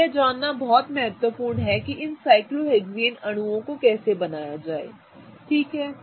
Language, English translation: Hindi, So, it's going to be very important to know how to draw these cyclohexane molecules